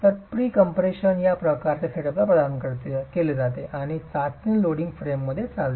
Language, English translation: Marathi, So the pre compression is provided to this sort of a setup and the test is carried out in a loading frame